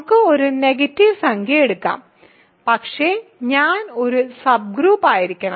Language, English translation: Malayalam, Let us take a negative integer, but I is supposed to be a subgroup right